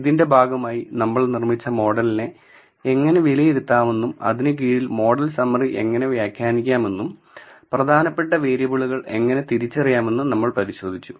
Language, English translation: Malayalam, As a part of this we also looked at how to assess the model that we have built and under that we looked at how to interpret the model summary and identify the significant variables